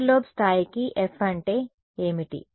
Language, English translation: Telugu, What is the F for the side lobe level